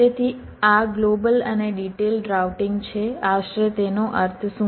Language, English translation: Gujarati, ok, so this is global and detail routing roughly what it means